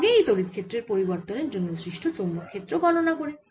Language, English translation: Bengali, now we will calculate the magnetic field due to this time varying electric field